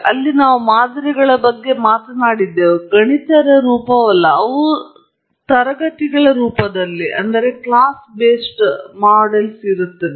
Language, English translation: Kannada, There we talked about models, not necessarily mathematical form; they are more of models in the form of classes